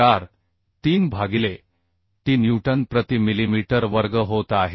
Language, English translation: Marathi, 43 by t Newton per millimetre square